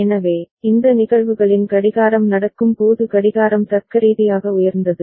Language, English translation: Tamil, So, the clock in these cases when it was happening clocks were at logic high ok